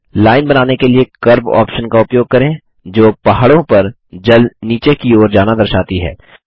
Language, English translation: Hindi, Lets use the option Curve to draw a line that shows water running down the mountains